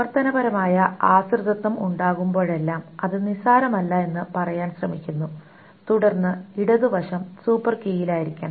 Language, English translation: Malayalam, It tries to say that whenever there is a functional dependency, it's non trivial, then the left side must be on the super key